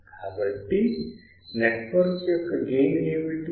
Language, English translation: Telugu, So, what is the gain of the network